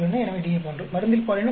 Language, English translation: Tamil, So, DF is 1, gender into drug is 1